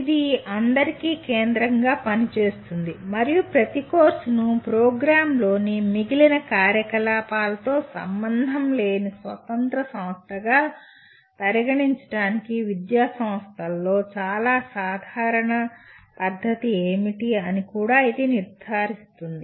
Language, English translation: Telugu, That serves as the focus for all and it also ensures what is very common practice in academic institutes to treat each course as an independent entity unrelated to the rest of the activities in the program